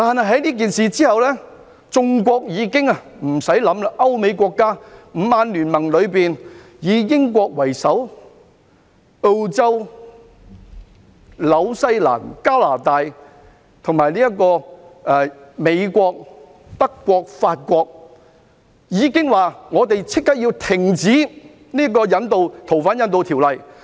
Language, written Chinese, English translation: Cantonese, 可是，這事以後，眾國......不需多想，各歐美國家，五眼聯盟——以英國為首，澳洲、新西蘭、加拿大和美國——以及德國和法國均表示他們要立即停止執行引渡逃犯的條例。, Subsequently various countries in needless to say Europe and America including the Five Eyes alliance comprising the United Kingdom Australia New Zealand Canada and the United States as well as Germany and France all indicated their intention to immediately terminate agreements on the surrender of fugitive offenders with Hong Kong